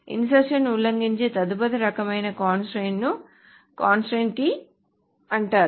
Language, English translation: Telugu, The next kind of constraint that insertion may violate is called a key constraint